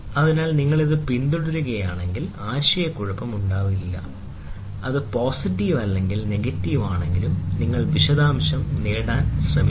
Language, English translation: Malayalam, So, this if you follow, then there will be no confusion; whether it is positive or negative and then you try to get the details